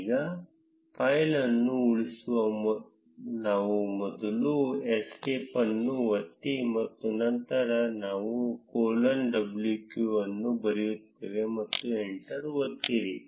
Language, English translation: Kannada, Now, to save the file we first press escape and then we write colon w q and press enter